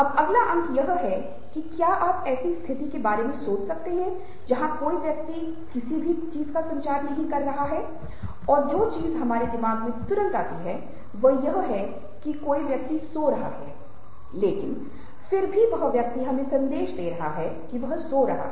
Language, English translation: Hindi, now, the next point is that can you think of a situation where somebody is not communicating anything and the thing which immediately comes to our mind is that somebody is sleeping